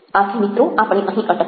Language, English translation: Gujarati, so we stop here, friends